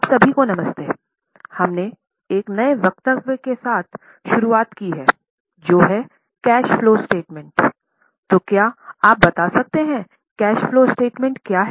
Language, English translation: Hindi, We had started with a new statement that is cash flow statement